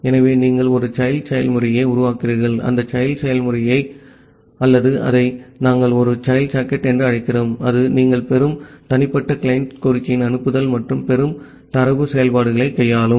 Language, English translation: Tamil, So, you create a child process and that child process will or we call it as a child socket, that will handle the send and a receive data functionalities of individual client request that you are getting